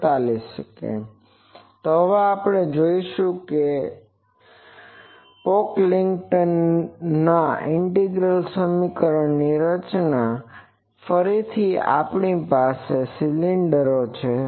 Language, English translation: Gujarati, So, we will see now that that Pocklington’s integral equation formulation, again we have that cylinders